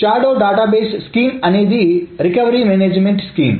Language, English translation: Telugu, So the shadow database scheme is a recovery management scheme